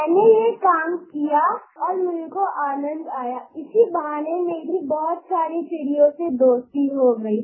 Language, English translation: Hindi, I did this and enjoyed it and in this way I made friends with a lot of birds